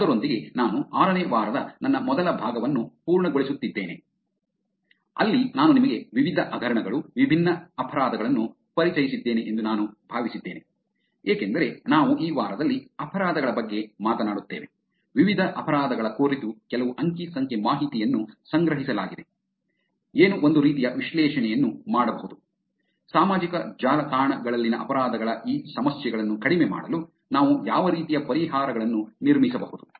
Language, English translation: Kannada, With that I will actually wrap up my first part of the week 6, where I thought I will just introduce you to different scams, different crimes, because we will talk about crimes in this week, looking at different crimes some data was collected, what kind of analysis could be done, what kind of solutions that we could build in reducing these problems of crimes on social networks